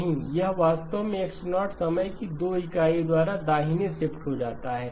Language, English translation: Hindi, No it actually X0 gets shifted by 2 units of time right